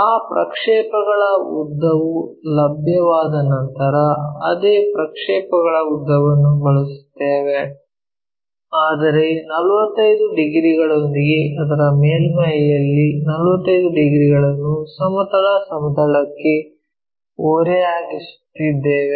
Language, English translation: Kannada, Once that projected length is available we use the same projected length, but with a 45 degrees because is making one of its sides with its surfaces 45 degrees inclined to horizontal plane